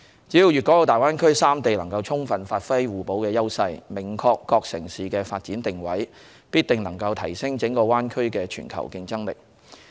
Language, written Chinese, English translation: Cantonese, 只要大灣區內的粵港澳三地能充分發揮互補優勢，明確各城市的發展定位，必定能提升整個大灣區的全球競爭力。, As long as Guangdong Hong Kong and Macao in the Greater Bay Area can achieve full and mutual complementarity and the various cities can clearly define their positioning in the development process the global competitiveness of the entire Greater Bay Area can definitely be enhanced